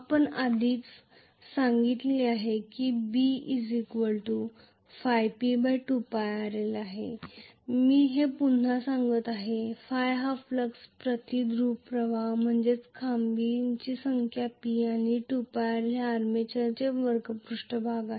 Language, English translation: Marathi, this we said already so I am just reiterating this, this is the flux per pole P is the number of poles and 2 pi rl is the curved surface area of the armature